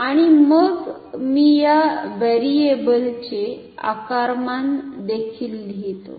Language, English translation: Marathi, And, then so, let me also write the dimensions of this variable